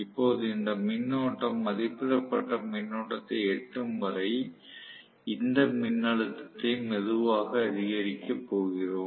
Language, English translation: Tamil, Now, what we are going to do is increase this voltage slowly until this current reads rated current